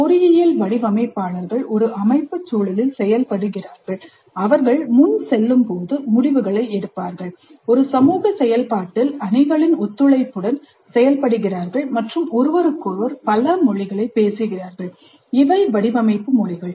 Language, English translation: Tamil, Engineering designers perform in a systems context, making decisions as they proceed, working collaboratively on teams in a social process, and speaking several languages with each other